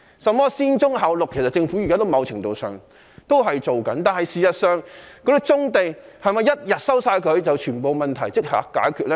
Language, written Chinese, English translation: Cantonese, 甚麼"先棕後綠"，其實現在政府某程度上也是這樣做的，但是否收回棕地，便令全部問題也可解決呢？, Regarding the so - called development of brownfield sites before greenfield sites this is actually what the Government is somehow doing now . Yet is the resumption of brownfield sites a panacea to all problems?